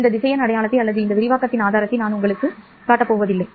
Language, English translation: Tamil, I will not show you this vector identity or the proof of this expansion